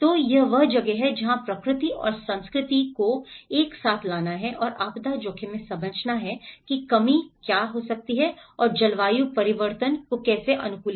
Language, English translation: Hindi, So, this is where how to bring nature and culture together and understand in the disaster risk reduction and the climate change adaptation